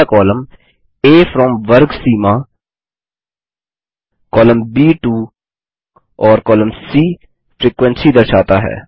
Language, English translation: Hindi, the first column A represents the from class boundary.column b To and column c frequency